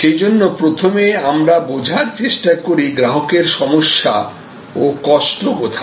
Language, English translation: Bengali, So, we are trying to first understand, what is the customer problem, what is the customer pain